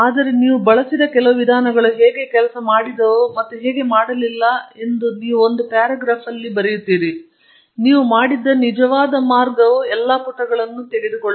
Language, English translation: Kannada, So, you will write a paragraph about how some of the approaches you used and how it didn’t work, and the actual way you did it will take all the pages